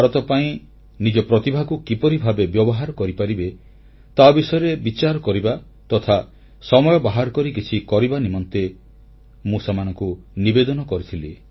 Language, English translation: Odia, I had appealed to those young people to think over how could they use their talent to India's benefit and do something in that direction whenever they found time